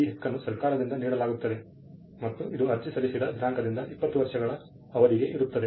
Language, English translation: Kannada, This right is conferred by the government and it is for a period of 20 years from the date of application